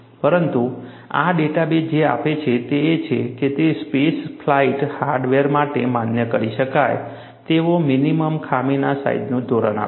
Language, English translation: Gujarati, But what this database provides is, it gives a standard of minimum flaw sizes, acceptable for space flight hardware